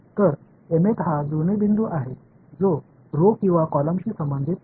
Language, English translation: Marathi, So, m th is the matching point which corresponds to the row or the column